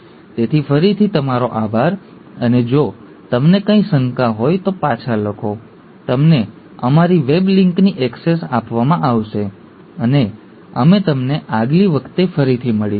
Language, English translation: Gujarati, So thank you again, and do write back if you have any doubts, you will be given access to our weblink, and we’ll see you again next time